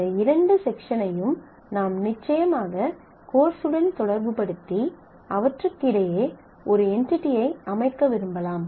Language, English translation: Tamil, So, you may want to relate these two section with the course and set up an entity between them